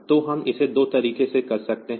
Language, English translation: Hindi, So, we can do it in 2 ways